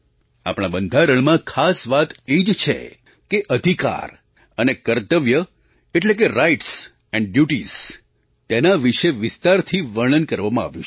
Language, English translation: Gujarati, The unique point in our Constitution is that the rights and duties have been very comprehensively detailed